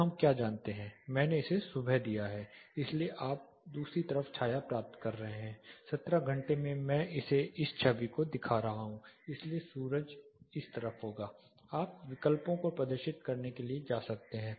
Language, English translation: Hindi, (Refer Slide Time: 20:12) So, what do we do know, I have given it morning so you are getting the shade on the other side 17 hours I am making it look at the image, so sun will be on this side you can go to display options